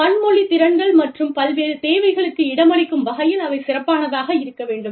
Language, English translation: Tamil, Having multilingual capabilities and fields, that can accommodate diverse requirements